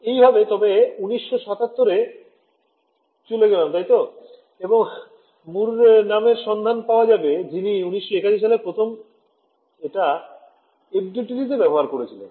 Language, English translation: Bengali, So, this is way back 1977 right and then you had a person by the name of Mur applied it to FDTD for the first time in 1981 ok